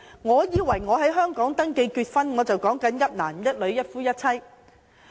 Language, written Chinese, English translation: Cantonese, 我以為在香港登記結婚，便是指"一男一女"、"一夫一妻"。, In my opinion a marriage registered in Hong Kong refers to a marriage of monogamy between one man and one woman